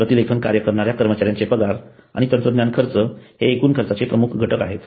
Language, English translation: Marathi, Salary of the transcription personnel and technology costs are the major elements of total cost